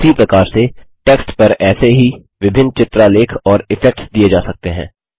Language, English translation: Hindi, Similarly, various such effects and graphics can be given to the text